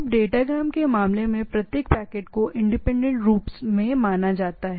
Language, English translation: Hindi, Now, in case of a datagram each packet is treated independently